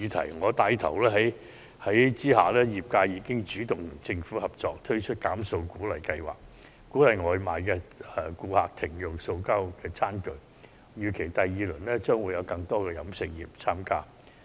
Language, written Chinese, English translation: Cantonese, 在我牽頭下，業界已經主動與政府合作，推出"減塑"鼓勵計劃，鼓勵外賣顧客減用塑膠餐具，預期第二輪將有更多食肆參加。, The industry under my lead has taken the initiative to work with the Government to launch an incentive scheme for reducing plastic consumptions by encouraging takeaway customers to opt out of plastic tableware . We expect to see more restaurants joining the second round of the scheme